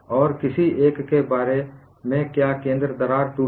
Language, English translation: Hindi, And what about any one has got the center crack breaking